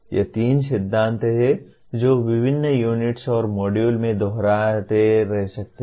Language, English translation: Hindi, These are the three principles which may keep repeating in various units and modules